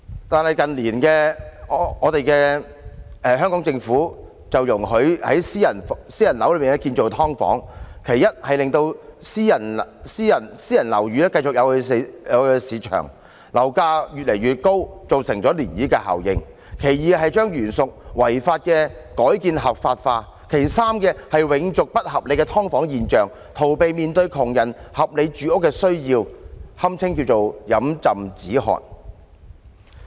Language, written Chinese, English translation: Cantonese, 但是，近年特區政府則容許在私樓內建造"劏房"，其一是令私樓變得有市場，樓價越來越高，造成漣漪效應；其二是將原屬違法的改建合法化；其三是永續不合理的"劏房"現象，逃避面對窮人的合理住屋需要，堪稱飲鴆止渴。, Property prices become increasingly high causing a ripple effect . Secondly it legalizes conversions which are originally illegal . Thirdly it makes the unreasonable phenomenon of subdivided units everlasting evading the reasonable housing needs of the poor